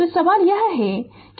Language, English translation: Hindi, So, question is that